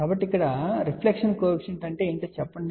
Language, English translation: Telugu, So, let us say what is reflection coefficient